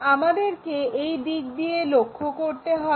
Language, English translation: Bengali, So, we have to look from that side